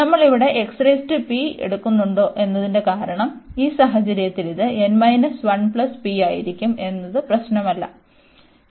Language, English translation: Malayalam, The reason whether we take here x power p, so in that case this will be n minus 1 plus p does not matter, and n is greater than equal to 1